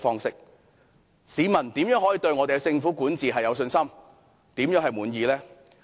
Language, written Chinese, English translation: Cantonese, 試問市民如何對政府管治有信心，如何會感到滿意呢？, How will the public have confidence in the governance of this Government? . How will they feel satisfied?